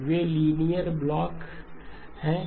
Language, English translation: Hindi, Those are 2 linear blocks